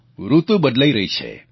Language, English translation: Gujarati, The weather is changing